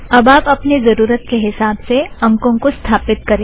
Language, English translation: Hindi, Now, you can set the values according to your requirement